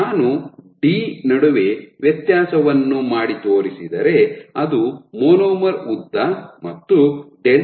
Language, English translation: Kannada, So, this delta I am making a distinction between d which is the monomer length and delta